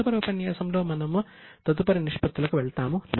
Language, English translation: Telugu, In the next session, we will go for next round of ratios